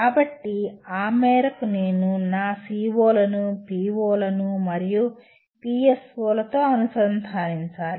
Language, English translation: Telugu, So to that extent I need to relate my or connect my COs to POs and PSOs